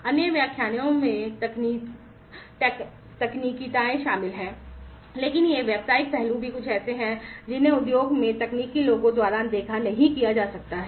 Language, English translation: Hindi, The technicalities are covered in the other lectures, but these business aspects are also something that cannot be ignored by the technical folks in the industry